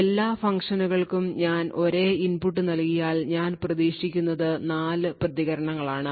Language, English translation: Malayalam, If I give the same input to all of the 4 functions, what I would expect is 4 responses and all of the responses would be different